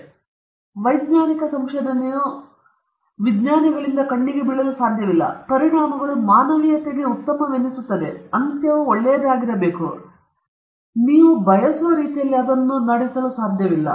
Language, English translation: Kannada, So, scientific research cannot be blindly carried out by scientist, just because the consequences are going to be good for humanity, just because the end is good, you cannot conduct it in any manner you want